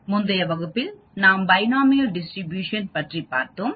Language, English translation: Tamil, The previous class we talked about the binomial distribution